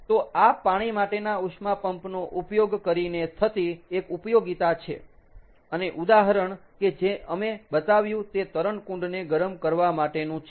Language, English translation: Gujarati, so this is one application using a water water heat pump, and an example that we showed is for swimming pool heating